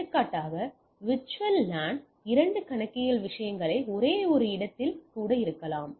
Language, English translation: Tamil, For example, there can be even in the same location these are two accounting things on the VLAN